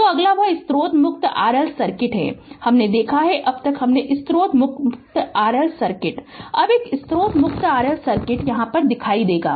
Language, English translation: Hindi, So, next is that source free RL circuit, we saw till now we saw source free Rc circuit now will see is a source free RL circuit